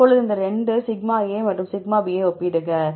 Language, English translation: Tamil, Now compare these 2, σ and σ